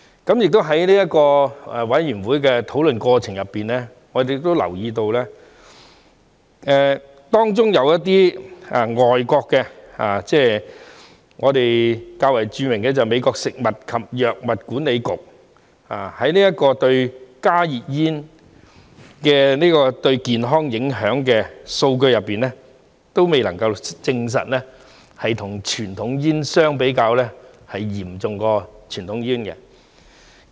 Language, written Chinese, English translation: Cantonese, 同時，在法案委員會的討論過程中，我們亦留意到，當中有一些外國機構，較為著名的是美國食品及藥物管理局，就加熱煙對健康影響的數據而言，他們也未能證實加熱煙與傳統煙相比，影響是較傳統煙嚴重。, At the same time during the deliberation process of the Bills Committee we have also noticed that some overseas organizations the more well - known one being the US Food and Drug Administration are unable to establish that HTPs have more serious impacts than conventional cigarettes with the data on the health implications of the former